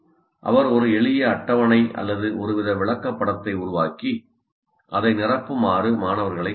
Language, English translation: Tamil, He can create a simple tables or some kind of a chart and say you start filling that up